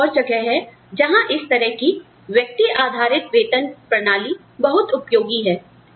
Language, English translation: Hindi, So, that is another place, where this kind of individual based pay system, is very helpful